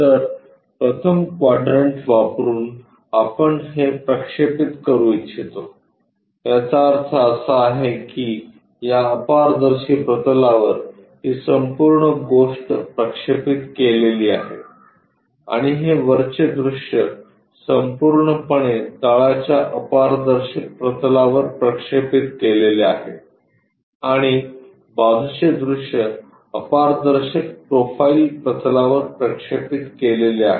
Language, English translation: Marathi, So, using first quadrant thus also we would like to project it; that means, this entire thing projected onto that opaque plane and this top view entirely projected onto bottom opaque plane and side view entirely projected onto profile plane opaque one and we have to flip in such a way that front view top view comes at bottom level